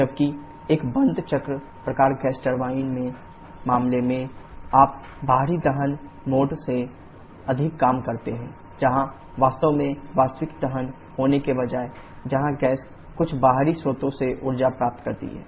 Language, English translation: Hindi, Whereas in case of a closed cycle type gas turbine you work more than external combustion mode where instead of having a real combustion actually, where the gas receives energy from some external source